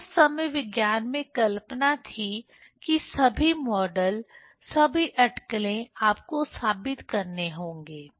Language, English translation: Hindi, So, that time there was assumption in science, that you have to prove, all the model, all the speculation